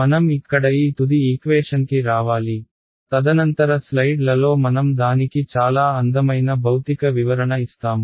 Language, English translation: Telugu, We have to come to this final equation over here right, and in the subsequent slides we will give a very beautiful physical interpretation to it ok